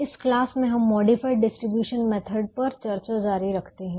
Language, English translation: Hindi, in this class we continue the discussion on the modified distribution method